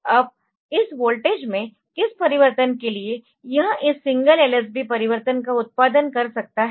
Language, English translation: Hindi, Now single lsb change, now for what change in this voltage it can produce this single lsb, lsb change, ok